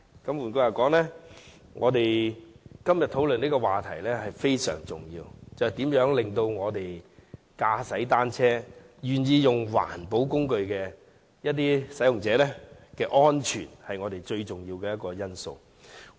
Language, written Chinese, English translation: Cantonese, 換句話說，我們今天討論的議題非常重要，就是如何保障使用單車這種環保交通工具的人士的安全，這是我們要考慮的最重要因素。, In other words the motion we discuss today is very important that is how to protect the safety of people using bicycles as an eco - friendly mode of transport . It is the most important factor in our consideration